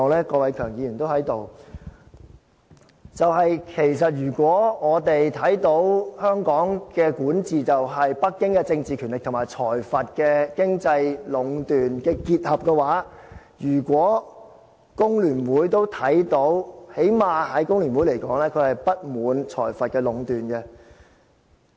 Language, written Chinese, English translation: Cantonese, 郭偉强議員現在都在這裏，因為如果我們看到香港的管治就是，北京政治權力壟斷和財閥經濟壟斷的結合，如果工聯會都看到的話，起碼就工聯會來說，它會對財閥壟斷不滿。, Mr KWOK Wai - keung is also present now . It is because if we really have such a perception of how Hong Kong has been governed how it has been ruled by a combination of political monopoly by Beijing and economic monopoly by plutocrats and if FTU can also see this then it should at least express discontent with this monopoly by plutocrats